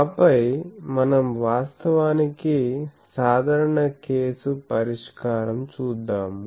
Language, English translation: Telugu, And then, we will go to actually solution of the general case